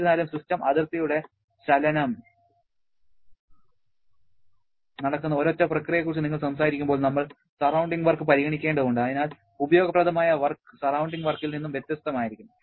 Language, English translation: Malayalam, However, when you are talking about a single process during which there is movement of the system boundary, we have to consider the surrounding work and therefore useful work will be different from the surrounding work